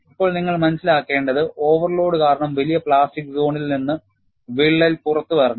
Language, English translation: Malayalam, Now, what you will have to realize is, the crack has to come out of the larger plastic zone, introduced by the overload